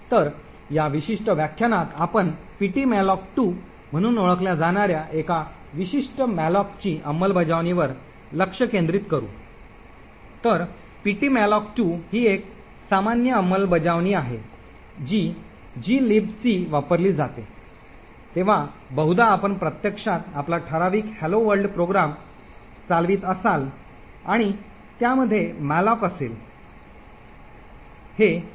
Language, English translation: Marathi, So in this particular lecture we will focus on one specific malloc implementation known as ptmalloc2, so ptmalloc2 is very common implementation which is used in glibc, so most likely when you actually run your typical hello world program and you have malloc in it